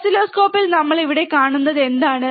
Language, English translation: Malayalam, What we see here on the oscilloscope